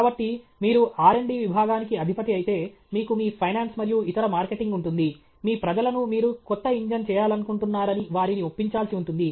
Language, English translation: Telugu, So, you are a head of a R&D division, you have your finance and other marketing all these people you will have to convince that please make this, I want to make a new engine